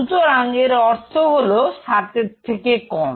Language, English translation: Bengali, So, it means less than 7